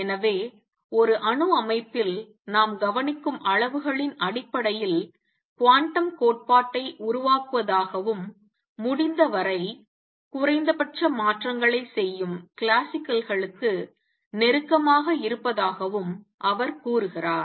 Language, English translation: Tamil, So, he says formulate quantum theory in terms of quantities that we observe in an atomic system, and remain as close to the classical as possible make minimum changes